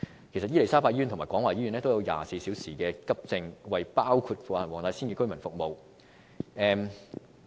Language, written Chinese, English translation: Cantonese, 其實伊利沙伯醫院及廣華醫院均設有24小時急症室服務，為包括黃大仙區的居民服務。, In fact 24 - hour AE services are available in the Queen Elizabeth Hospital and the Kwong Wah Hospital which serve residents including those living in the Wong Tai Sin District